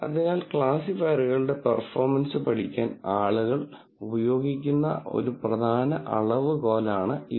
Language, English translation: Malayalam, So, this is an important measure that people use, to study the performance of classifiers